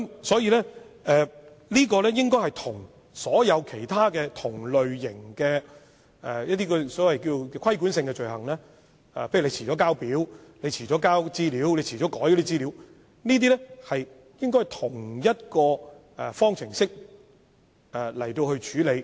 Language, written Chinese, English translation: Cantonese, 所以，這些罪行與其他同類型的規管性罪行，例如遲了遞交表格或遲了更改資料，應該以同一方式來處理。, Thus these offences should be dealt with in the same way as other regulatory offences of the same type eg . late submission of an application form or late updating of certain information